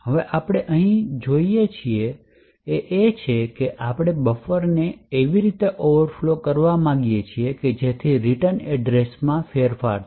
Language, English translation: Gujarati, Now what we do want over here is that we want to overflow the buffer in such a way so that the return address is modified